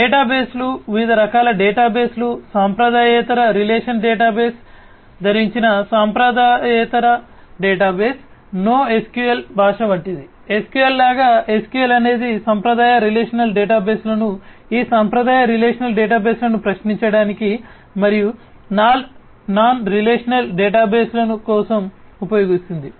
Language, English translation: Telugu, Databases, databases of different types non traditional database wearing non traditional relational database, like NoSQL language is there; like SQL, SQL is for the you know traditional relational databases use with querying this traditional relational databases and for non relational databases